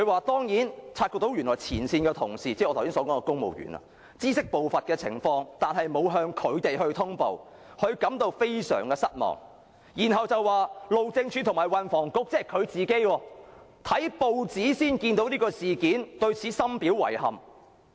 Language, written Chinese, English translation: Cantonese, 第二，陳帆說前線同事——即我剛才提到的公務員——知悉部分情況，但沒有向他通報，他感到非常失望，然後又說路政署署長和運輸及房屋局局長——即他自己——看報紙才知悉事件，對此深表遺憾。, the civil servants I mentioned earlier were aware of certain circumstances but failed to report to him which was disappointing . Then he said that the Director of Highways and the Secretary for Transport and Housing ie . he himself learnt about the incident only from the press and he found the situation highly regrettable